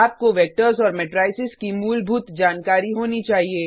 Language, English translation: Hindi, You should have Basic knowledge about Vectors and Matrices